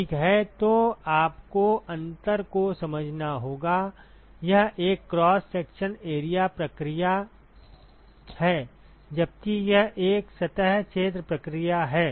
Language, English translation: Hindi, Ok so you have to understand the difference, this is a cross sectional area process right, whereas this is a surface area process